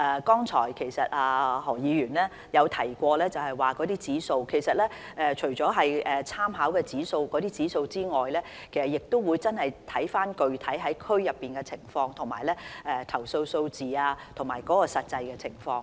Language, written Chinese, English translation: Cantonese, 剛才何議員提到一些指數，其實除了參考這些指數外，亦要看看區內具體情況、投訴數字和實際情況。, Just now Mr HO has mentioned some figures but apart from making reference to these figures we should also look at the specific situation number of complaints and actual situation of each district